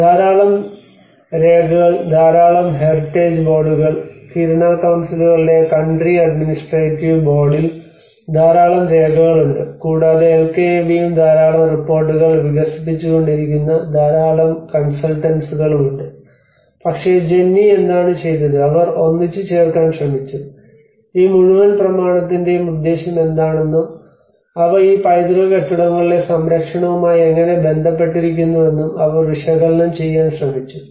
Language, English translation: Malayalam, And a lot of documents a lot of heritage board there is lot of documents coming in Kiruna councils country administrative board, and LKAB and a lot of consultants which are developing all the reports but then Jennie what she did was she tried to really put together and she tried to analyse you know what is the purpose of this whole document and how are they related to the conservation of these heritage buildings